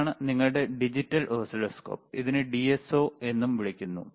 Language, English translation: Malayalam, This is your digital oscilloscope, right it is also called DSO,